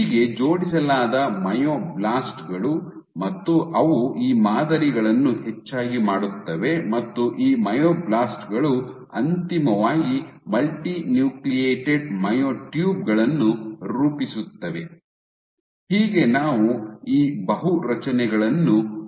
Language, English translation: Kannada, So, you have myoblasts which are aligned and they populate these patterns, and these myoblasts which finally, fuse to form multinucleated myotubes